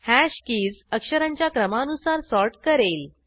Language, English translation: Marathi, This will sort the hash keys in alphabetical order